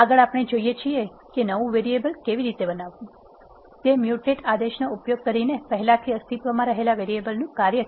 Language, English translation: Gujarati, Next, we see how to create a new variable, that is a function of already existing variable, using the mutate command